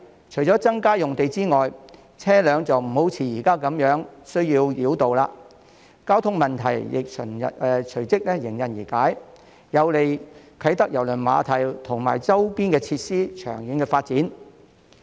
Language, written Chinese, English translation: Cantonese, 除了增加用地之外，車輛也就無需像現時般繞道，交通問題亦隨即迎刃而解，有利啟德郵輪碼頭及周邊設施的長遠發展。, Apart from additional land supply vehicles will no longer need to make a detour as they do now and the traffic problems will then be solved which is conducive to the development of KTCT and its surrounding facilities in the long run